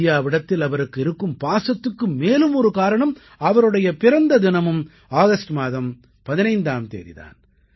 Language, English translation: Tamil, Another reason for his profound association with India is that, he was also born on 15thAugust